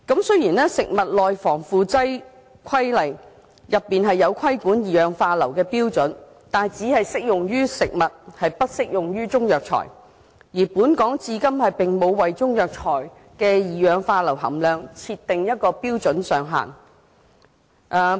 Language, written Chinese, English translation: Cantonese, 雖然《食物內防腐劑規例》載有規管二氧化硫的標準，但它只適用於食物，並不適用於中藥材，而本港至今並無為中藥材的二氧化硫含量設定標準上限。, Although the Preservatives in Food Regulations has set out standards regulating sulphur dioxide it is only applicable to food but not Chinese herbal medicines . So far Hong Kong has not set any standard limit for sulphur dioxide content in Chinese herbal medicines